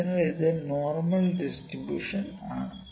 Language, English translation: Malayalam, So, this is my normal distribution